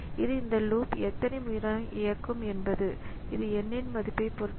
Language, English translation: Tamil, So, this so how many times this loop will execute so that depends on the value of n